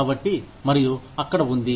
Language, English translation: Telugu, So and so, was there